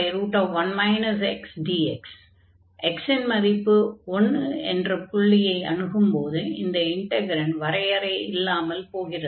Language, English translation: Tamil, So, here when x approaching to 1 this is becoming unbounded our integrand is becoming unbounded